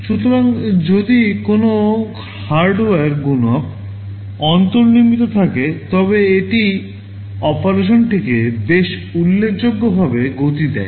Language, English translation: Bengali, So, if there is a hardware multiplier built in, it speeds up operation quite significantly